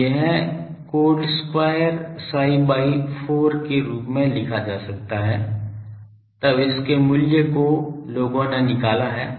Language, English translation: Hindi, So, this can be written as cot square psi by 4; then its value people have evaluated that